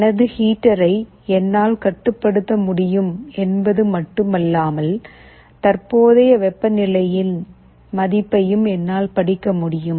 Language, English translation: Tamil, Like not only I should be able to control my heater, I should also be able to read the value of the current temperature